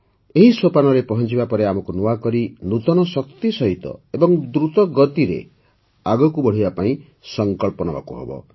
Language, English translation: Odia, Now after reaching this milestone, we have to resolve to move forward afresh, with new energy and at a faster pace